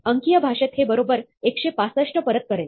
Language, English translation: Marathi, In numeric terms, this will return 165 correctly